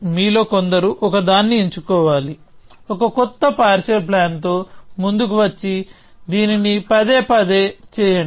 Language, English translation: Telugu, So, some of you have to select one; come up with a new partial plan and do this repeatedly